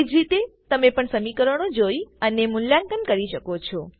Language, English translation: Gujarati, In a similar way you can also watch and evaluate expressions